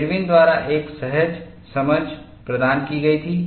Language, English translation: Hindi, The intuitive understanding was provided by Irwin